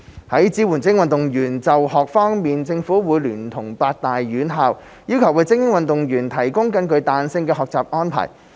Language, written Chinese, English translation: Cantonese, 在支援精英運動員就學方面，政府會聯絡八大院校，要求為精英運動員提供更具彈性的學習安排。, In terms of supporting schooling for elite athletes the Government will contact the eight tertiary institutions and request for flexible study arrangements for elite athletes